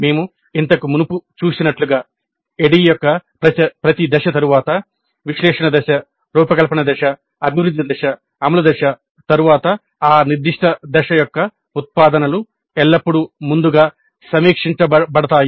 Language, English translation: Telugu, As we saw earlier also, after every phase of the ADD, after analysis phase, design phase, develop phase, implement phase, the outputs of that particular phase are always pre reviewed to see if we need to revisit any of those activities